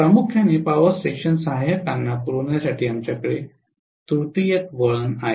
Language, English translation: Marathi, We tend to have a tertiary winding mainly to supply the power station auxiliaries